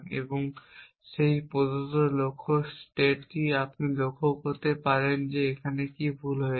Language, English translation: Bengali, If you look at this given start state and that given goal state can you observe what this is doing wrong